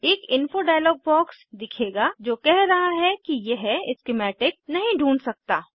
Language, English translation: Hindi, An Info dialog box will appear saying it cannot find the schematic